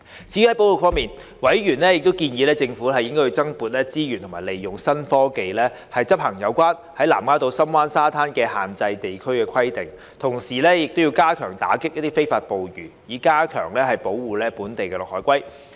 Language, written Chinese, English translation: Cantonese, 至於保育方面，委員建議政府增撥資源及利用新科技執行有關南丫島深灣沙灘的限制地區規定，同時加強打擊非法捕魚，以加強保護本地綠海龜。, As for conservation members suggested that the Government should allocate more resources and use new technologies for the enforcement of the restricted area requirement for the sandy beach at Sham Wan Lamma Island and at the same time step up efforts in combating illegal fishing to enhance the protection of Green Turtles in Hong Kong